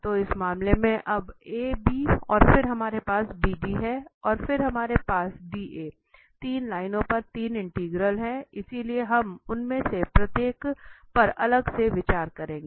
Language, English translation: Hindi, So, in this case now A B and then we have B D and then we have D A we have the 3 integrals over the 3 lines, so we will consider each of them separately